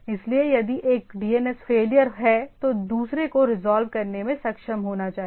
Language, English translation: Hindi, So if there is a failure of one DNS other should be able to resolve